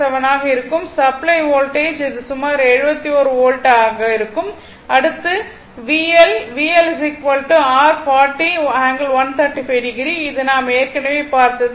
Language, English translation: Tamil, 07 that is approximately 71 volt next is your V L, V L is equal to your 40 angle one 35 degree that we have seen